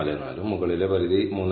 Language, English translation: Malayalam, 44, and the upper bound as 3